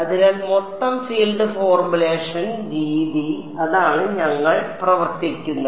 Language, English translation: Malayalam, So, that is the that is the way with the total field formulation that is how we will work